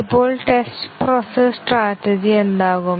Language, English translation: Malayalam, Now, what about the test process strategy